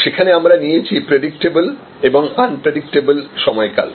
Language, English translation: Bengali, There we have taken predictable duration and unpredictable duration